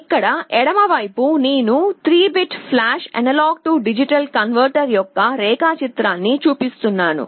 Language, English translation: Telugu, Here on the left hand side I am showing the diagram of a 3 bit flash A/D converter